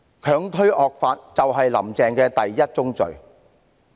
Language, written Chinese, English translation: Cantonese, 強推惡法，就是"林鄭"的第一宗罪。, Pushing through the draconian law is Carrie LAMs first sin